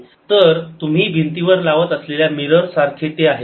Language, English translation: Marathi, so it's like a mirror you put on the wall